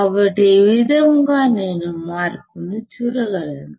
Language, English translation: Telugu, So, this is how I can see the change